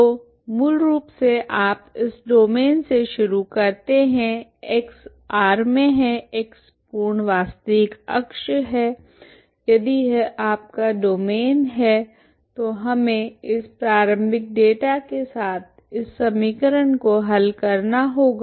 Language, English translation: Hindi, So basically you start with this domain X is in full or full X takes in all the real values ok X is full real axis if this is your domain we have to solve this equation with this initial data